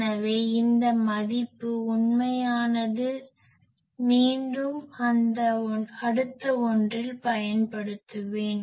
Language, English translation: Tamil, So, this value actual again I will use in the next one